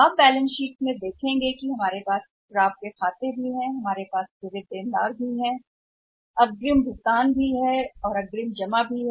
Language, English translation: Hindi, So, you will see in the balance sheet that we have account receivables also we have sundry debtors also and we have advance deposit also or advance payments also